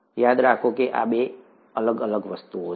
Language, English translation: Gujarati, Remember these two are different things